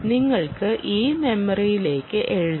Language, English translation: Malayalam, you can write to this memory a part